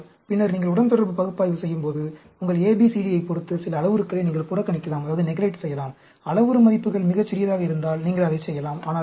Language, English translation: Tamil, But, later on, when you do the regression analysis, depending upon your A, B, C, D, you may neglect some of the parameters; if the parameter values are very, very small, you may do that